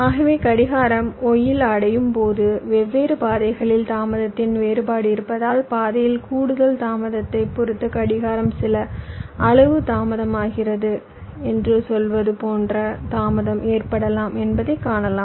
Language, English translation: Tamil, so what you may be see that because of difference in delay along different paths, when clock reaches in y there can be ah delay, like, say, the clock is delayed by some amount